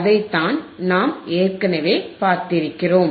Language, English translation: Tamil, And that is what we have seen right now